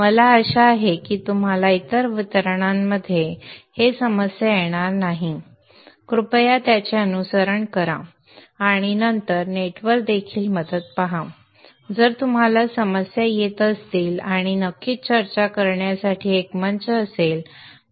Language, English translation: Marathi, I hope that you will not have a problem in other distributions too, kindly follow it and then look into help on the net too if you run into problems and there is a forum to discuss